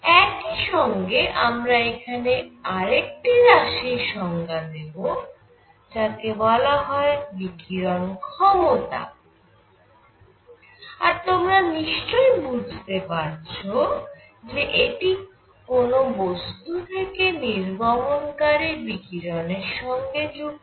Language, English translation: Bengali, Simultaneously, I am going to define something called the emissive power and as you can well imagine, this is related to the emission of radiation from a body